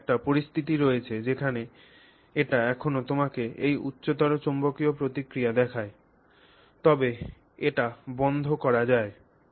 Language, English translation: Bengali, Now you have a situation where it still shows you this high magnetic response but it can be switched off